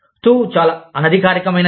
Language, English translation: Telugu, TU is very informal